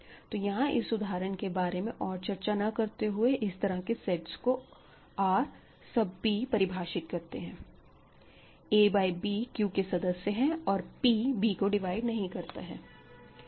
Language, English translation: Hindi, So, I will end this by simply saying define it is a R sub p to be a b a by b in Q, p does not divide b ok